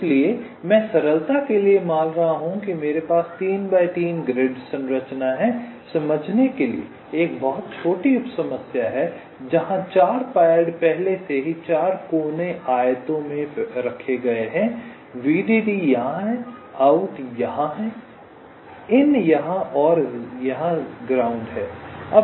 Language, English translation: Hindi, so i am assuming, for simplicity, that i have a three by three grid like structure a very small sub problem for illustration where the four pads are already p pre placed in the four corner rectangles: vdd is here, out is here, ground is here and in is here